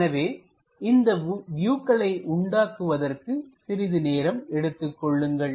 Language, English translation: Tamil, Take some time to construct these views, think about it